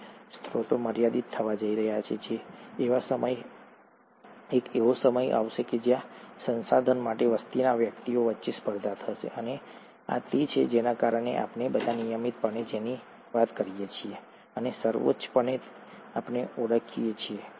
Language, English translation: Gujarati, If the sources are going to become limited, there is going to be a time, where there will be a competition among the individuals of a population for the resource, and this is what led to what we all routinely talk about and classically called as ‘The survival of the fittest’